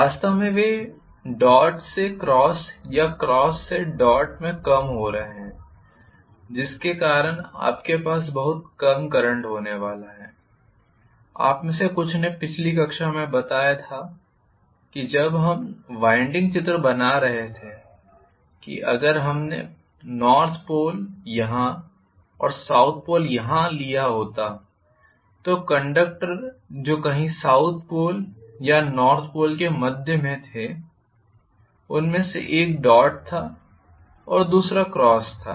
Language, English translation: Hindi, In fact, they are defecting from dot to cross or cross to dot, because of which you are going to have very very minimal current, some of you guys pointed out in the last class when we were drawing the winding diagram that if we had taken say north pole here and south pole here, the conductors that were somewhere in the cusp of south pole or north pole one of them was dot one of them was cross may be something will carry current in upward direction the other one will carry current in the downward direction, they are right adjacent into each other, how can it be that question was you know arising for some of this students